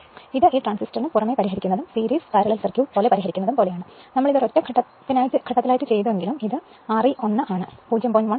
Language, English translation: Malayalam, It is something like your solving apart from this transistor and other solving like a series parallel circuit, though we have done it for a single phase and this is R e 1 that is 0